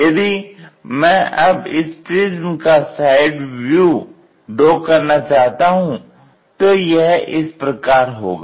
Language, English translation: Hindi, If I would like to draw a side view of that prism for example, from this direction I would like to visualize